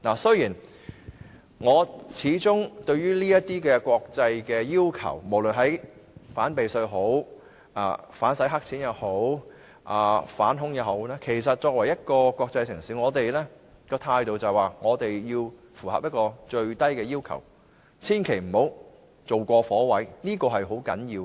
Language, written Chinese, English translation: Cantonese, 面對這些國際要求，無論是反避稅、反洗黑錢或反恐，香港作為一個國際城市，政府的態度應該是要符合最低要求，千萬不要做過火，這是很重要的。, In the face of these international requirements be it anti - tax avoidance anti - money laundering or anti - terrorism the Government of Hong Kong an international city should be ready to meet the minimum requirements but it should not go overboard which is very important